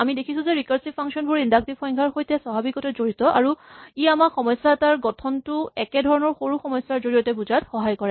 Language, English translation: Assamese, We saw that recursive definitions rec recursive functions are very naturally related to inductive definitions and they help us to understand the structure of a problem in terms of smaller problems of the same type